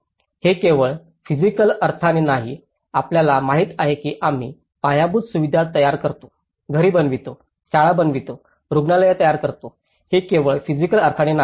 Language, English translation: Marathi, It is not just in the physical sense, you know that we build infrastructure, we build housing, we build the schools, we build hospitals, this is not just only in the physical sense